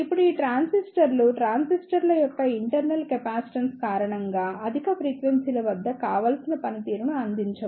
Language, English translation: Telugu, Now, these transistors do not provide desirable performance at higher frequencies due to the internal capacitance of the transistors